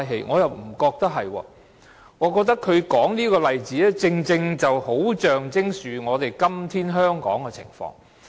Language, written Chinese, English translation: Cantonese, 我倒覺得不是，我覺得他說這個例子，恰好象徵今天香港的情況。, However I think otherwise . In my view the example he cited is precisely characteristic of Hong Kongs current situation